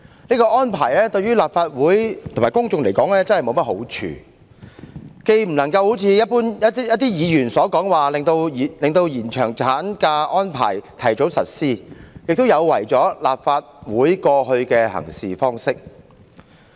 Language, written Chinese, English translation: Cantonese, 這樣的做法，於立法會及公眾均沒好處，既不能如一些議員所認為能達致令延長產假的安排盡早實施的目的，亦有違立法會一貫的行事方式。, Such an approach would be of no benefit to the Legislative Council and to the public . Besides it will not serve to as some Members think achieve the purpose of making possible an early implementation of the arrangements for extension of statutory maternity leave and it is inconsistent with the usual practice of the Legislative Council